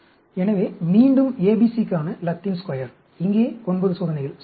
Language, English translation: Tamil, So, again, Latin Square for ABC, 9 experiments here, right